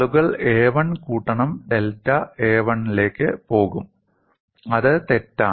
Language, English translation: Malayalam, People would simply jump to a 1 plus delta a 1; it is wrong